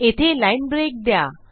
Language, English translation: Marathi, A line break here